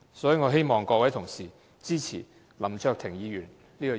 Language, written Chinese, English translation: Cantonese, 所以，我希望各位同事支持林卓廷議員的議案。, I thus hope that colleagues will support Mr LAM Cheuk - tings motion